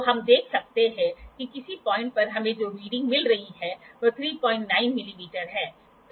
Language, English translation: Hindi, So, we can see that reading that we are getting at some point is 3